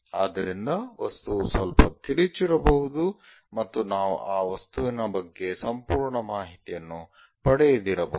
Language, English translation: Kannada, So, the object might be slightly skewed and we may not get entire information about the object